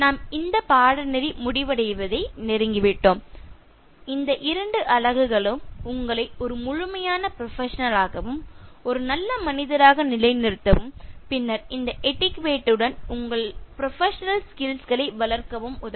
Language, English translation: Tamil, We are almost nearing the completion of the course and these two units will help you to establish you as a thorough professional, as a good gentleman and then develop your professional skills along with this etiquette